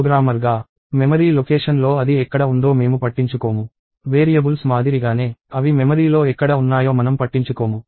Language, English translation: Telugu, So, as a programmer, we do not care about where it is in the memory location; just like for variables, we do not care where they are in the memory